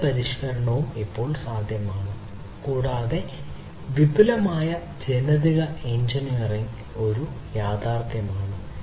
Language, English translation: Malayalam, Cell modification is possible now, and also advanced genetic engineering is a reality